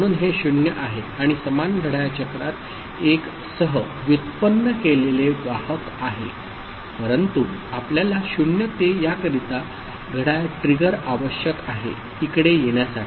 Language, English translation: Marathi, So, this is 0 and carry generated as 1 with in the same clock cycle, but we need the clock trigger for this 0 to come over here